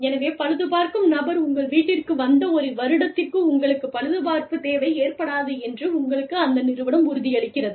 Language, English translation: Tamil, So, we assure you that, once the repair person comes to your house, you will not need repairs, for the next one year